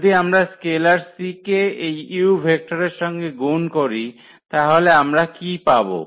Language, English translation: Bengali, So, if we multiply are this c to this vector u then what we will get